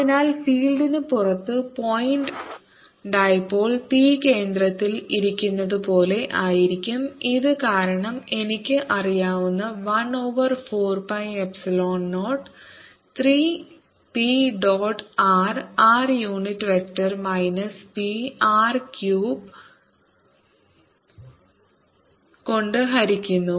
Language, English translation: Malayalam, so outside the field is going to be as if there is the point dipole p sitting at the centre and electric field due to this, i know, is one over four pi epsilon zero, three p dot r r unit vector minus p divided by r cubed